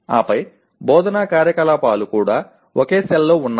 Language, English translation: Telugu, And then my instructional activities also are in the same cell